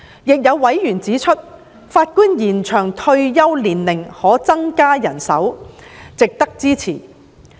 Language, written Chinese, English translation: Cantonese, 亦有委員指出，法官延展退休年齡可增加人手，值得支持。, Other members have made the point that the proposal of extending the retirement age for Judges is worth supporting because it can increase manpower